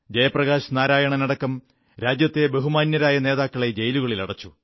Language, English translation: Malayalam, Several prominent leaders including Jai Prakash Narayan had been jailed